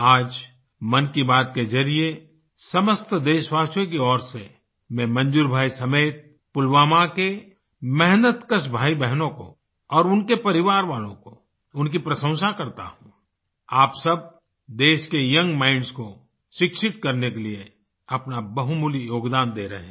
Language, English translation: Hindi, Today, through Mann Ki Baat, I, on behalf of all countrymen commend Manzoor bhai and the enterprising brothers and sisters of Pulwama along with their families All of you are making invaluable contribution in educating the young minds of our country